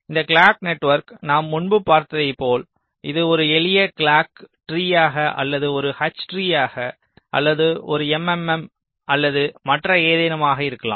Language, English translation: Tamil, so this clock network, as you know we have seen earlier this can be a, either a simple clock tree its like an h tree or an m, m, m or something like that